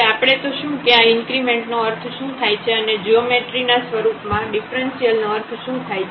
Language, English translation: Gujarati, Now, we will see here what do we mean by this increment and this differential in terms of the geometry